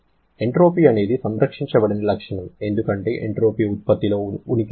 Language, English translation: Telugu, Entropy is a non conserved property because of the presence of entropy generation